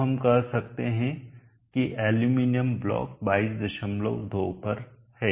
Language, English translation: Hindi, 2 so we can say that the aluminum block is a term 22